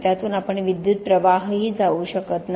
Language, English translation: Marathi, We can neither pass current through it